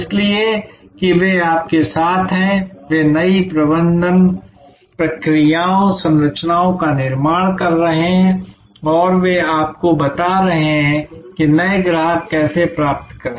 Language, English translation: Hindi, So, that they are with you, they are creating the new management processes, structures and they are telling you how to get new customers